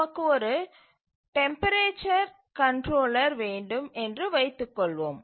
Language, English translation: Tamil, Let's say that we have a temperature controller